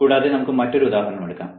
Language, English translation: Malayalam, so i am going to show an example